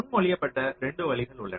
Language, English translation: Tamil, so there are two ways that have been proposed